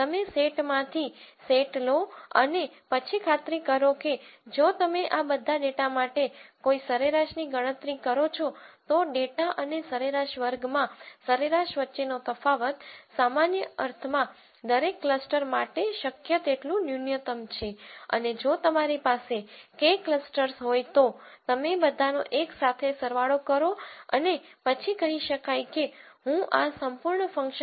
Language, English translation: Gujarati, You take set by set and then make sure that if you calculate a mean for all of this data, the difference between the data and the mean square in a norm sense is as minimum as possible for each cluster and if you have K clusters you kind of sum all of them together and then say I want a minimum for this whole function